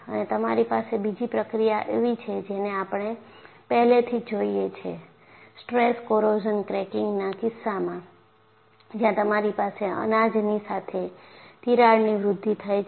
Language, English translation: Gujarati, And you have another process, we have already seen that in the case of stress corrosion cracking, where you had the crack growth along the grains